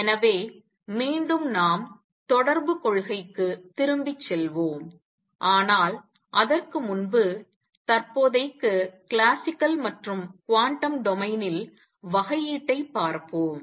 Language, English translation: Tamil, So, again we will be going back to the correspondence principle, but before that let us now look for the time being differentiation in classical and quantum domain